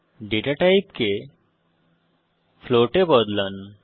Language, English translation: Bengali, change the data type to float